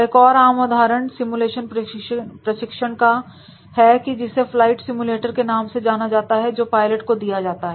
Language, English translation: Hindi, A common example of the use of simulators for training is the flight simulators for pilots